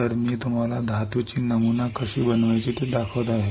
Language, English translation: Marathi, So, I am showing you how to pattern metal